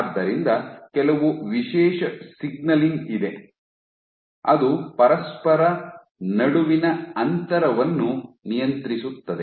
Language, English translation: Kannada, So, there is some special signaling which regulates the spacing between each other